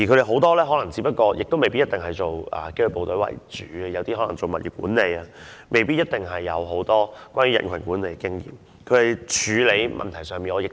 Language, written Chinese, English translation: Cantonese, 很多保安同事未必一定曾任職紀律部隊，有些可能從事物業管理，未必有很多人群管理的經驗。, Some security staff were previously engaged in property management instead of working in disciplined services and thus may not have much crowd management experience